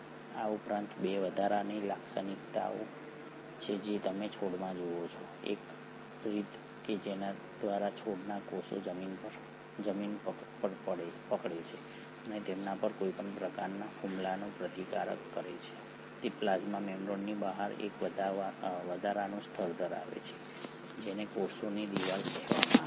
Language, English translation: Gujarati, In addition to that there are 2 additional features which you see in plants, one way by which the plant cells kind of hold on to the ground and resist any kind of attack on them is by having an extra layer outside the plasma membrane which is called as the cell wall